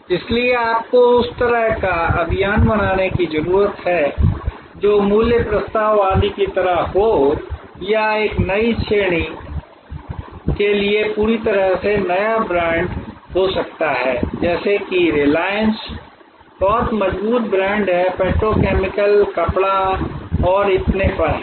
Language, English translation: Hindi, So, you need to create that sort of campaign that sort of value proposition etc or there can be a completely new brand for a new service category like reliance is very strong brand in petrochemicals are textiles and so on